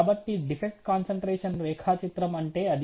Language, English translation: Telugu, So, that is about the defect concentration diagram